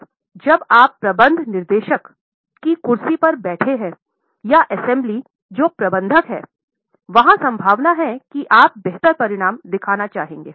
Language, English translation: Hindi, Now, when you are sitting in the chair of managing director or as somebody who is manager, there is likelihood that you would like to show better results